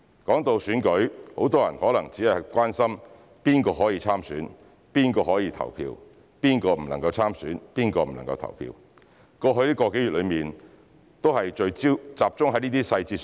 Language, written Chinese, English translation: Cantonese, 談到選舉，很多人可能只會關心誰可以參選、誰可以投票，誰不能參選、誰不能投票，過去個多月的討論都集中在這些細節。, Speaking of election many people may only care about who are eligible candidates and voters and who are not eligible candidates and voters which have been the focus of discussion over the past month or so